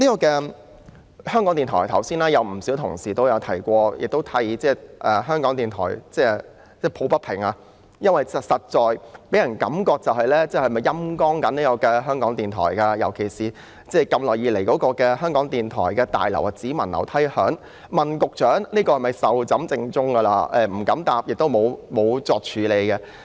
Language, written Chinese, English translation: Cantonese, 剛才有不少同事都提到香港電台，為其抱不平，因為感覺上港台被"陰乾"，尤其是興建港台新大樓只聞樓梯響，雖然我們曾詢問局長這項工程是否已壽終正寢，但局長沒有答覆，亦沒有處理這個問題。, Just now quite a number of Honourable colleagues mentioned Radio Television Hong Kong RTHK speaking against the injustice it has suffered because we have the feeling that RTHK is being sapped . In particular the construction of the New Broadcasting House of RTHK has been all talk but no action . Although we did ask the Secretary whether this project had fallen through the Secretary did not reply